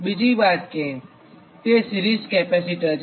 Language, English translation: Gujarati, next is that series capacitor